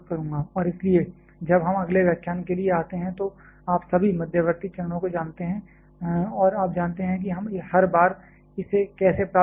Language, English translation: Hindi, And so, when we come for the next lecture you know all the intermediate steps and you know how we are deriving every time this